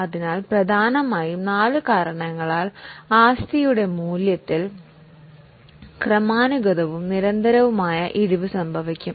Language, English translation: Malayalam, So, it's a gradual and continuous fall in the value of asset mainly because of four reasons